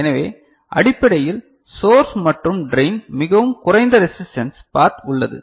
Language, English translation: Tamil, So, basically source and drain there is a veryy low resistance path